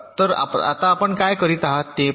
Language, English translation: Marathi, so now you see what are doing